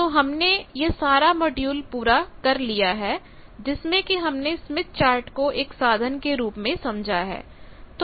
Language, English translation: Hindi, So, we have completed in this whole module that the smith chart has a tool has been introduce